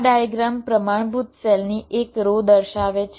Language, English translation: Gujarati, this diagram shows one row of this standard cell cells